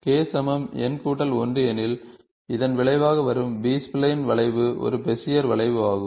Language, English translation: Tamil, If k is equal to n plus 1, then the resulting B spline curve is a Bezier curve